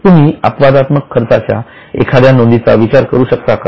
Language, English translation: Marathi, Can you think of an exceptional item of profit